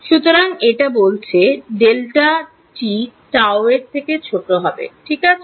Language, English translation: Bengali, So, it says delta t should be less than tau ok